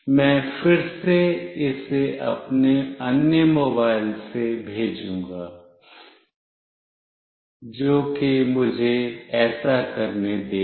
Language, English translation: Hindi, I will again send it OFF from my other mobile, which is this one let me do that